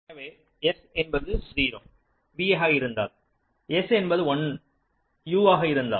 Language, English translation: Tamil, so if s is zero, v, if s is one, u